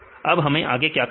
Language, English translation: Hindi, Then what can we do next